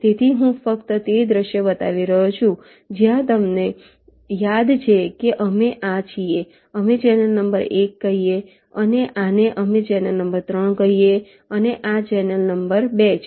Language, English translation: Gujarati, so i am just showing the scenario where you recall this we are, we have called as in channel number one and this we have called as channel number three and this was channel number two